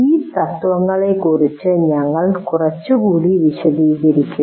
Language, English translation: Malayalam, So we will elaborate on each one of these principles a little more